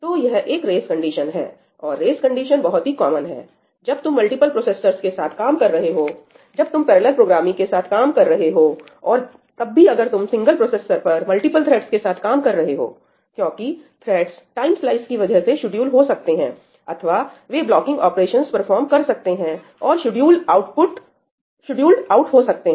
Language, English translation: Hindi, So, this is a race condition and race conditions are very very common when you are working with multiple processors, when you are working with parallel programming or even if you are working on a single processor with multiple threads, right, because the threads can get scheduled because of time slicing or because they perform some blocking operation and they get scheduled out, right we discussed this last time